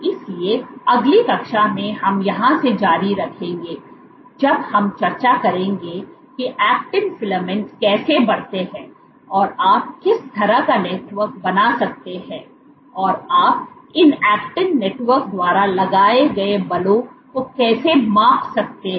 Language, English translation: Hindi, So, in next class we will continue from here when discuss how actin filaments grow, what kind of network you can form, and how can you measure the forces exerted by these actin networks